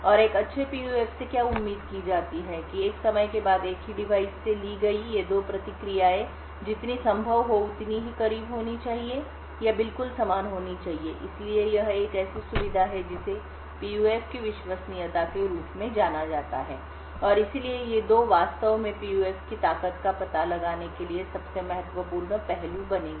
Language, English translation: Hindi, And what is expected of a good PUF is that these 2 responses taken from the same device after a period of time should be as close as possible or should be exactly identical, So, this is a feature which is known as reliability of a PUF and therefore these 2 would actually form the most critical aspects for gauging the strength of PUF